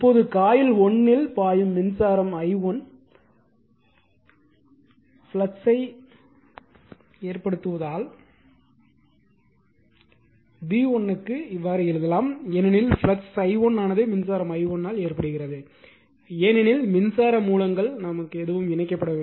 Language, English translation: Tamil, Now, again as the fluxes are cause by the current i1 flowing in coil 1, we can write for v 1 we can write because flux phi 1 is cause by your current i1 because,your coil 2 no current source is connected